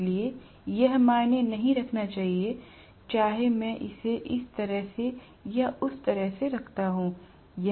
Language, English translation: Hindi, So, it should not matter whether I house it this way or that way